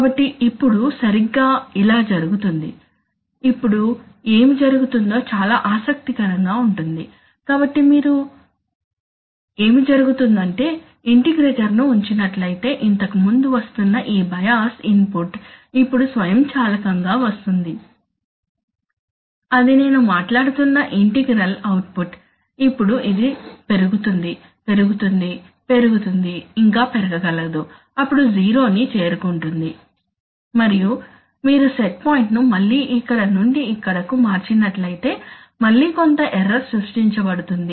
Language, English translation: Telugu, Now, so exactly this is what happens, so now you see, if you, if you put the integrator what happens, is very interesting, so what happens is that, this bias input which was previously coming now comes automatically, that is the integral output which I was talking about now increases, increases, increases, still it can, then it goes to zero and then if you, if you change the set point again from here to here again some error will be created